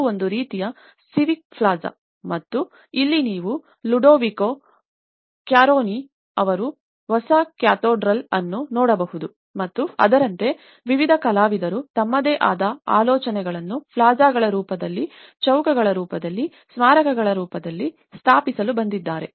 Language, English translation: Kannada, It is a kind of civic plaza and here, you can see the new cathedral by Ludovico Quaroni and like that various artists have come to install their own ideas in the form of plazas, in the form of squares, in the form of monuments, in the form of buildings, in the form of housing, also some smaller level of artwork